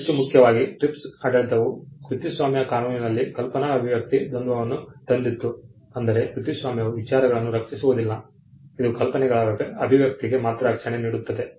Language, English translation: Kannada, More importantly the TRIPS regime brought the idea expression dichotomy in copyright law which means copyright will not protect ideas; it will only offer protection on expression of ideas